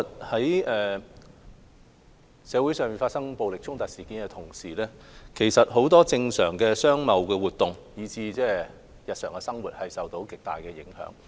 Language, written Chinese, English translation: Cantonese, 在社會發生暴力衝突事件的同時，很多正常的商貿活動，以至日常生活均受到極大影響。, The outbreak of violent clashes in society has inflicted tremendous impact on many normal commercial and trade activities and even our daily life